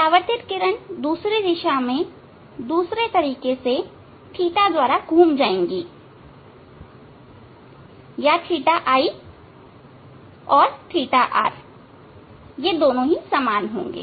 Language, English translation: Hindi, Reflected ray will rotate in other way other direction by theta, or theta i and theta r, these two will be same